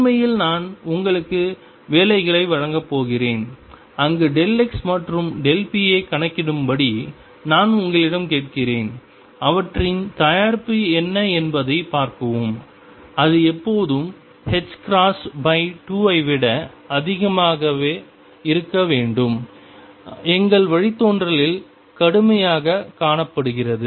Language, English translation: Tamil, In fact, I am going to give you the problems in the assignment where I would ask you to calculate delta x and delta p for these and see what their product is it should always come out to be greater than h cross by 2 as we have seen rigorously in our derivation